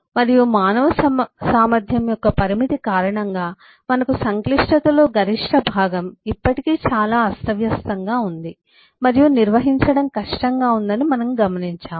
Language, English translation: Telugu, and we have observed that, due to the limitation of human capacity, we have a big part of the complexity which is still quite disorganized and difficult to handle